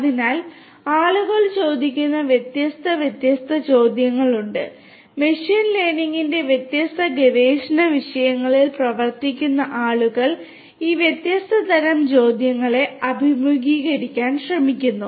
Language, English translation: Malayalam, So, there are different different questions people ask, people who are working on the different research themes of machine learning they try to address all these different types of varieties of questions